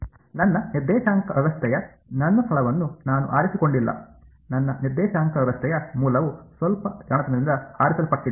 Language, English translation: Kannada, Not at all I have just choosing my location of my coordinate system the origin of my coordinate system is what is being chosen a little bit cleverly